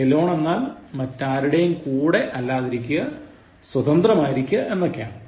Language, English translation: Malayalam, Alone is to be without others, on your own, independently